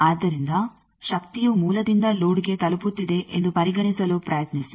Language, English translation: Kannada, So, try to consider that the power from the source is getting delivered to load